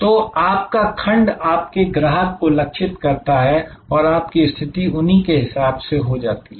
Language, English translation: Hindi, So, your segment your customer target them and therefore, your position them accordingly